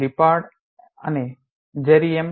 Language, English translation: Gujarati, Lippard and Jeremy M